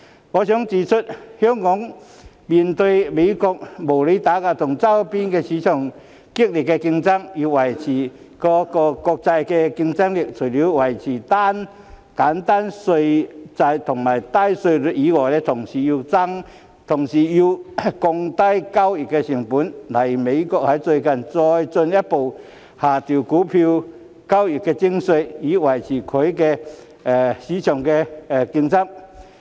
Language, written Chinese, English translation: Cantonese, 我想指出，香港面對美國的無理打壓和周邊市場激烈競爭，想要維持國際競爭力，除了維持簡單稅制度及低稅率外，還要降低交易成本，例如美國最近再進一步下調股票交易徵費，以維持其股票市場競爭力。, I would like to point out that in the face of unreasonable suppression of the United States US and fierce competition from the nearby markets if Hong Kong wants to maintain its international competitiveness it must reduce transaction costs in addition to maintaining a simple tax system and low tax rates . For example US recently lowered its stock transaction levy further to maintain the competitiveness of its stock market